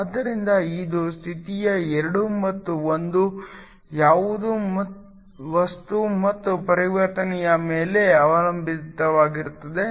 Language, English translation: Kannada, So, depends upon what the state’s 2 and 1 are this is material and also upon the transition dependent